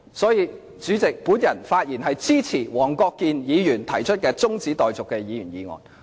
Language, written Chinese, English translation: Cantonese, 所以，主席，我發言支持黃國健議員提出的中止待續議案。, Therefore President I speak in support of the adjournment motion put forward by Mr WONG Kwok - kin